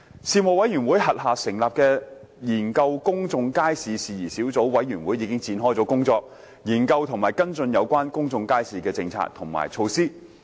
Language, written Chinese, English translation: Cantonese, 事務委員會轄下成立的研究公眾街市事宜小組委員會已展開工作，研究和跟進有關公眾街市的政策及措施。, The Subcommittee on Issues Relating to Public Markets under the Panel already commenced work to study and follow up on policies and measures relating to public markets